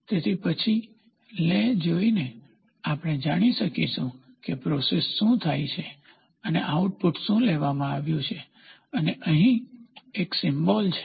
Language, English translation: Gujarati, So, then by looking at the lay we will know what is the process done and what is the output taken and here is a symbol